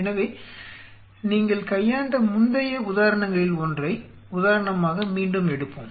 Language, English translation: Tamil, So, again let us take the example of one of the previous examples where you dealt with